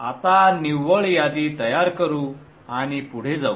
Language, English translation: Marathi, Let us now generate the net list and go forward